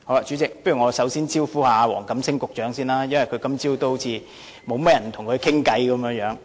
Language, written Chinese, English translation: Cantonese, 主席，我首先想對黃錦星局長發言，因為今早好像沒有甚麼議員跟他談話。, President first of all I would like to speak to Secretary WONG Kam - sing as it seems that not many Members spoke to him this morning